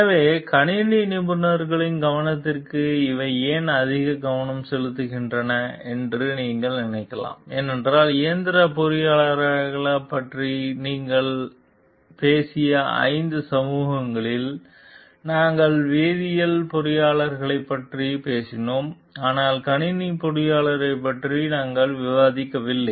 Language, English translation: Tamil, So, you may think of like why these are more of focus for the attention of the computer professionals because in the 5 societies we have talked of mechanical engineers, we have talked of chemical engineers, but we have not discussed about computer engineers